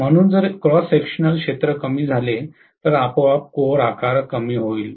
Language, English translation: Marathi, So if the cross sectional area decreases, automatically the core size will decrease